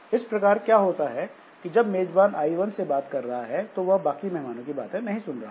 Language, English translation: Hindi, So, but the, so what happens is that this I1 when the host is talking to I1, so the host is not listening to others, I2, I3, I4